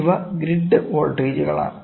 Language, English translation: Malayalam, These are the grid voltages, ok